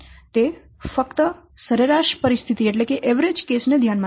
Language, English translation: Gujarati, It only considers the average case scenario